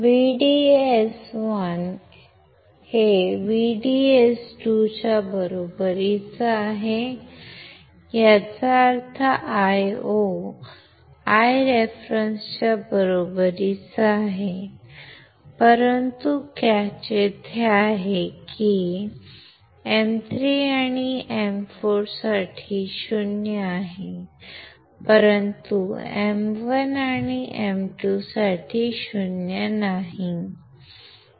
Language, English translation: Marathi, VDS one equals to VDS 2, implies Io equals to I reference right, but the catch is here that, lambda for M 3 and M 4 is 0, but for M1 and M 2 is not equal to 0